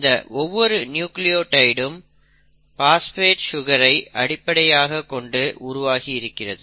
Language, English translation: Tamil, Now each nucleotide itself is made up of a phosphate sugar backbone